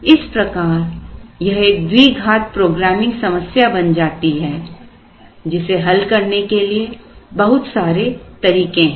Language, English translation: Hindi, So, this becomes a quadratic programming problem which can be solved in many ways